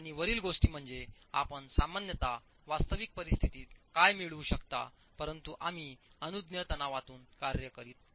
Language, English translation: Marathi, 4 and above is what you would typically get in real conditions but we are working within permissible stresses